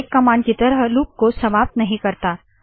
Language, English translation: Hindi, The break command, however, terminates the loop